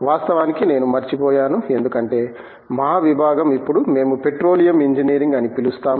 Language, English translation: Telugu, And of course, I will be missing out because our department as now forayed into what we called Petroleum Engineering